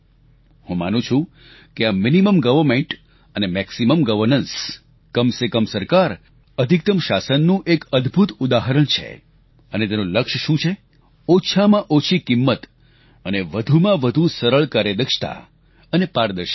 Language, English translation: Gujarati, I believe that this is an excellent example of Minimum Government and Maximum Governance, and it's objective is Minimum Price and Maximum Ease, Efficiency and Transparency